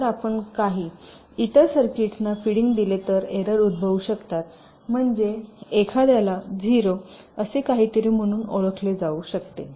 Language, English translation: Marathi, the signal if you just feeding to some other circuits, because of degradation there can be errors, means a one might be recognize as a zero, something like that